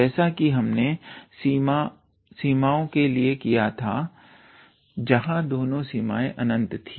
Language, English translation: Hindi, Like we did for the limits where both the limits were infinite